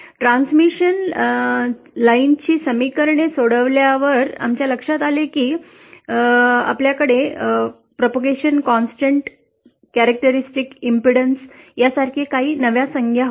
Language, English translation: Marathi, On solving the transmission line equations, we saw that we had some new terms like the propagation constant, characteristic impedance